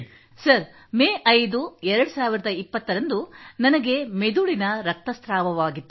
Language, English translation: Kannada, Sir, on the 5th of May, 2020, I had brain haemorrhage